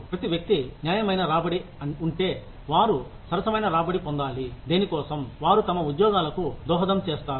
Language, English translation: Telugu, Each individual assumes that, if fair return, they should get a fair return, for what, they contribute to their jobs